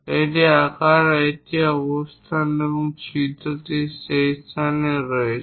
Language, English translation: Bengali, This is size and this is location, the hole is at that particular location